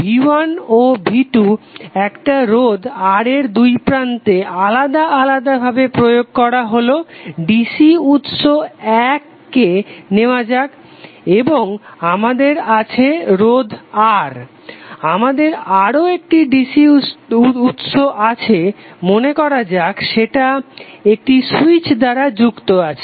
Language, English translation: Bengali, So V1 and V2 we both are applying separately to a resistor R, let us take 1 dc source and we have resistor R, we have another dc source and suppose it is connected thorough some switch